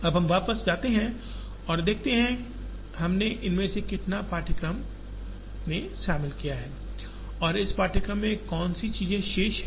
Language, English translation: Hindi, Now, we go back and see, how much of these we have covered in the course and what are the things that are remaining to be done in this course